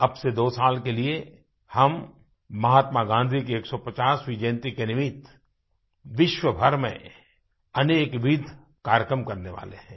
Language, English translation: Hindi, For two years from now on, we are going to organise various programmes throughout the world on the 150th birth anniversary of Mahatma Gandhi